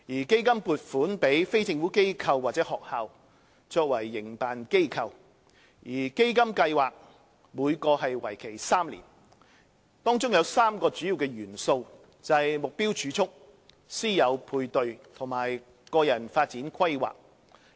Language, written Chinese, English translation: Cantonese, 基金撥款予非政府機構或學校作為營辦機構，基金計劃每個為期3年，當中有3個主要元素，即"目標儲蓄"、"師友配對"和"個人發展規劃"。, Under CDF provisions are made to non - governmental organizations or schools as project operators and each project which will last for three years comprises three key components namely Targeted Savings Mentorship and Personal Development Plan